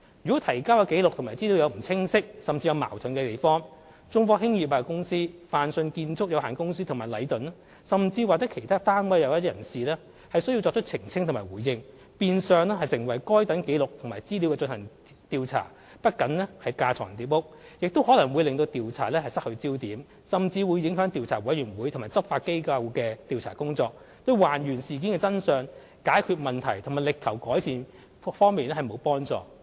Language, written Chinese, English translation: Cantonese, 如果提交的紀錄和資料有不清晰甚至有矛盾之處，中科、泛迅和禮頓甚或其他單位或人士便需作出澄清和回應，變相成為就該等紀錄和資料進行調查，不僅是架床疊屋，亦可能會令調查失去焦點，甚至會影響調查委員會及執法機構的調查工作，對還原事件的真相、解決問題及力求改善各方面沒有幫助。, It there is any ambiguity or inconsistency in the records or information produced to the Legislative Council people from China Technology Fang Sheung and Leighton or other organizations may have to make a clarification or response which will virtually make it an inquiry into those records and information . That is not only superfluous it will also lead to the loss of focus or even affect the inquiry of the Commission and the investigation of law enforcement agencies . That cannot help the authorities to find out the truth of the incident to resolve the issues and to make improvements